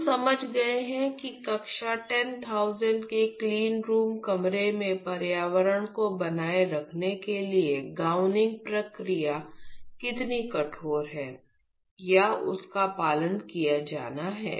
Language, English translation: Hindi, So now, that we have understood how stringent the gowning procedure is or has to be followed in order to maintain the environment in a class 10000 cleanroom